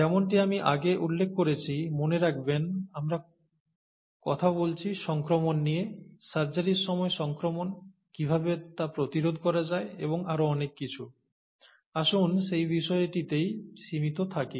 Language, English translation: Bengali, As I mentioned earlier, these organisms, remember we are talking, our story is about infection, infection in during surgeries, how to prevent them and so on so forth, let’s stick to that story